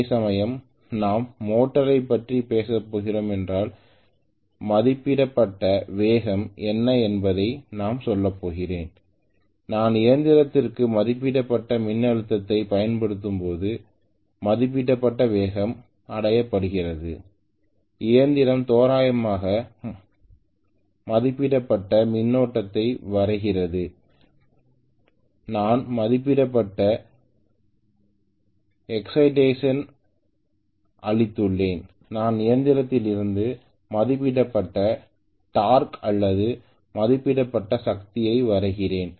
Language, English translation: Tamil, Whereas if we are going to talk about motor normally we are going to say what is the rated speed, rated speed is achieved when I apply rated voltage to the machine, the machine is drawing approximately rated current and I have given rated excitation and I am drawing rated torque or rated power from the machine